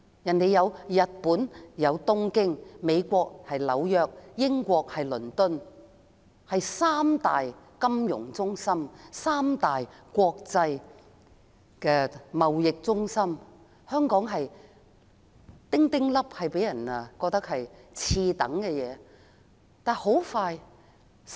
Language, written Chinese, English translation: Cantonese, 當時日本東京、美國紐約、英國倫敦是三大國際金融中心、國際貿易中心，香港的地位微不足道，給人次等的感覺。, At that time the three major international financial and trading centres were Tokyo in Japan New York in the United States and London in the United Kingdom while Hong Kongs status was negligible giving people the impression that it was a second class city